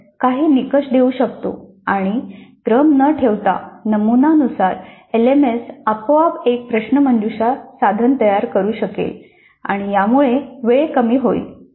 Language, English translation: Marathi, We can give certain criteria and randomly according to that pattern the LMS can create a quiz instrument automatically and that would reduce the time